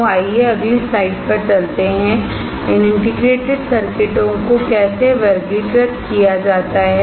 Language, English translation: Hindi, So, let us move to the next slide, how are these integrated circuit classified as